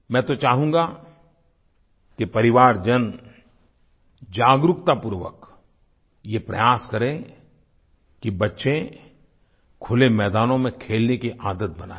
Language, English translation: Hindi, I would like the family to consciously try to inculcate in children the habit of playing in open grounds